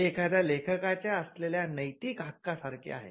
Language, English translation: Marathi, So, this is similar to the moral right of an author